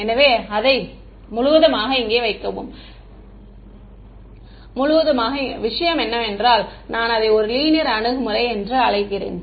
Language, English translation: Tamil, So, put it put the whole thing over here and that is what I am calling a non linear approach ok